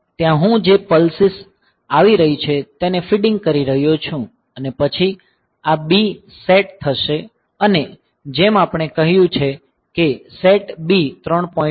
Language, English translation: Gujarati, So, there I am feeding the pulses that are coming and then this set b as we have said that set b 3